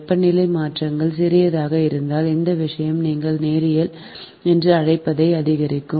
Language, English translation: Tamil, if temperature changes is small, the resistance will also if the this thing, increase your what you call linearly